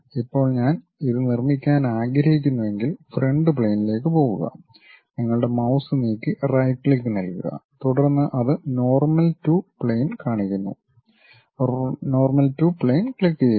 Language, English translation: Malayalam, Now, if I would like to construct it, go to Front Plane just move your mouse then give a right click, then it shows Normal To plane, click that Normal To plane